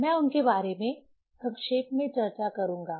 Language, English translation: Hindi, Let me just discuss them briefly